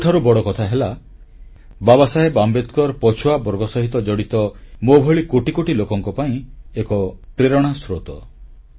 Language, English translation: Odia, Baba Saheb Ambedkar is an inspiration for millions of people like me, who belong to backward classes